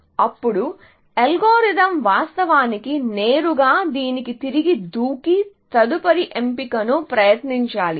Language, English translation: Telugu, Then, the algorithm should actually, directly jump back to this, and try the next choice, essentially